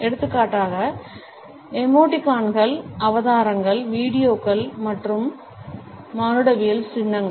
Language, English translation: Tamil, For example: the emoticons, the avatars, the videos as well as the anthropomorphic icons